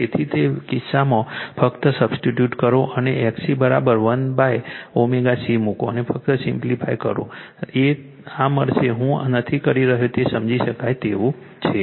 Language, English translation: Gujarati, So, in that case your what just you substitute and put XC is equal to 1 upon omega C and just simplify you will get this am not doing it it is understandable right